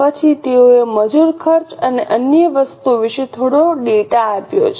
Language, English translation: Gujarati, Then they have given some data about labour costs and other things